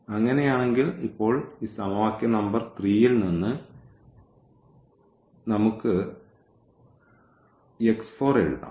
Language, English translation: Malayalam, In that case now from this equation number 3 we can write down x 4